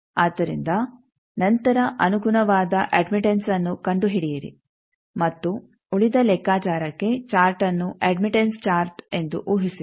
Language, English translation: Kannada, So, then find the corresponding admittance and for rest of the calculation assume the chart as admittance chart